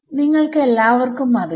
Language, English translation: Malayalam, You all know it